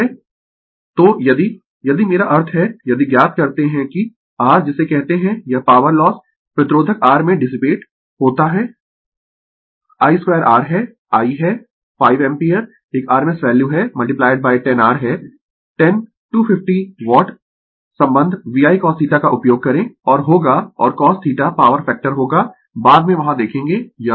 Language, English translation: Hindi, So, if you if you I mean if you find out that ah your what you call this ah power loss dissipated in the register R is I square R I is the 5 ampere is a rms value into 10R is the 10 250 watt use the relationship VI cos theta and you will and cos theta power factor later we will see there it is